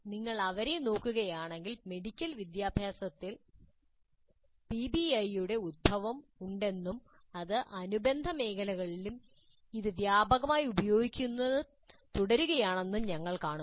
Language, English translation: Malayalam, So if you look at them we see that PBI has its origin in medical education and it continues to be used quite extensively in that and related fields